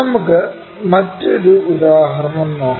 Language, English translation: Malayalam, Let us take another example